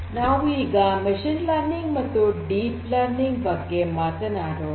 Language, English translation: Kannada, So, I talked about machine learning and deep learning